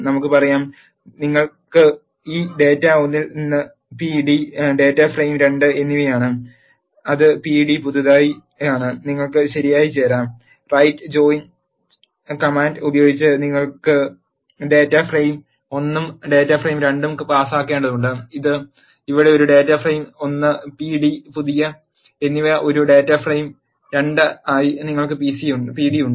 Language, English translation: Malayalam, Let us say, you have this data from 1 which is p d and data frame 2 which is pd new and you can do the right join, by using right join command and you need to pass what is data frame 1 and what is data frame 2, here we have pd as a data frame 1 and p d new as a data frame 2